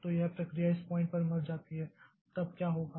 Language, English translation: Hindi, So, this process dies at this point